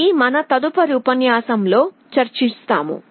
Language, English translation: Telugu, This we shall be discussing in our next lecture